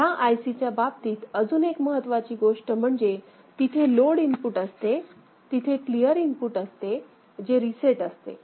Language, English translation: Marathi, The other thing important in this particular IC is that there is a load input, there is a clear input that is reset